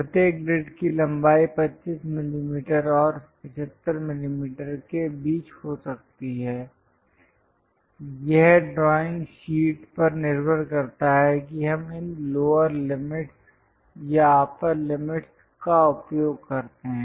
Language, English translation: Hindi, The length of each grids can be between 25 mm and 75 mm depends on the drawing sheet we use these lower limits or the upper limits